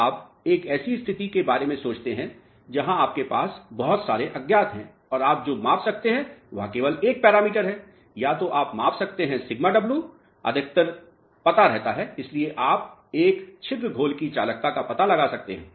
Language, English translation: Hindi, So, you think of a situation where you have so many unknowns and what you can measure is only one parameter either you can measure porosity sigma w is known most of the times, so you can find out the for a pore solution conductivity